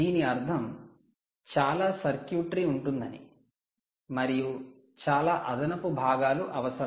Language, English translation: Telugu, so all this means a lot of circuitry, lot of additional components